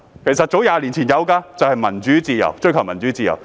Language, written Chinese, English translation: Cantonese, 其實，早在20年前已有"民主自由"的口號，追求自由。, In fact the slogan of Democracy and freedom was chanted as early as 20 years ago in the pursuit of freedom